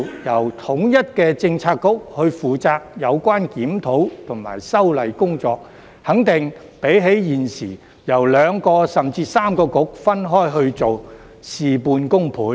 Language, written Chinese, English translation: Cantonese, 由統一的政策局負責有關檢討及修例工作，肯定比現時由兩個、甚至三個政策局分開去做，事半功倍。, Having a unified Policy Bureau responsible for the review and legislative amendments will certainly be more effective than having two or even three bureaux to do the work separately